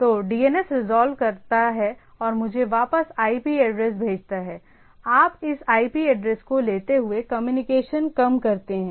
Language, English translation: Hindi, So, the DNS resolve and send me back the IP address, you taking this IP address the less of the communication goes on